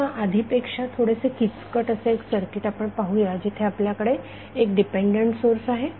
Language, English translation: Marathi, Now, let see slightly complex circuit where we have one dependent current source